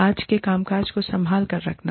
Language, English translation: Hindi, Keeping today's work, functioning